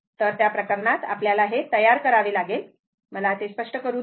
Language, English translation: Marathi, So, in that case, you have to make, just let me clear it